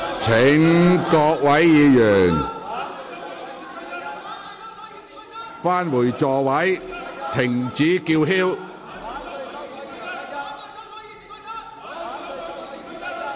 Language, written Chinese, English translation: Cantonese, 請各位議員返回座位，停止叫喊。, Will Members please return to their seats and stop shouting